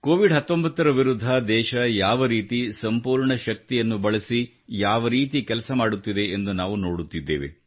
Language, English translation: Kannada, We are seeing how the country is fighting against Covid19 with all her might